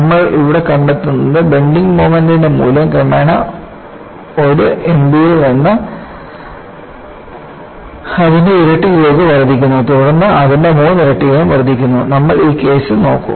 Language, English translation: Malayalam, And what you find here is the value of the bending moment is progressively increased from 1M b to twice of that, and then thrice of that, and we will look at for this case